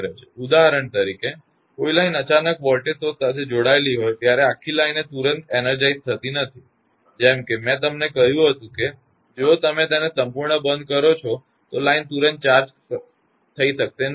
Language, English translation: Gujarati, For example, when a line is suddenly connected to a voltage source the whole of the line is not energised instantaneously like I told you; if you close it hole of the line cannot be charged instantaneously